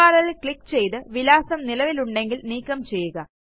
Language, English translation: Malayalam, Click on the URL and delete the address that is already there